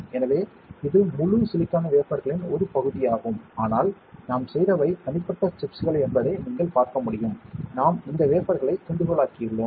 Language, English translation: Tamil, So, this is this is part of a whole silicon wafer ok, but what we did these are individual chips you can see, we have diced this wafer